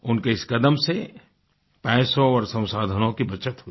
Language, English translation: Hindi, This effort of his resulted in saving of money as well as of resources